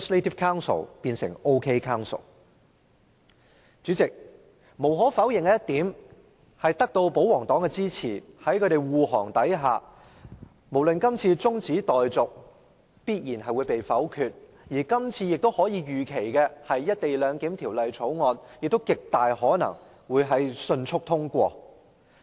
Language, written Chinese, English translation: Cantonese, 代理主席，無可否認，在保皇黨的支持和護航下，這項中止待續議案必然會被否決，而預期《條例草案》亦極大可能獲迅速通過。, Deputy President it is undeniable that this adjournment motion is bound to be negatived with the royalists support for and defence of the Bill which is very likely to be passed swiftly as expected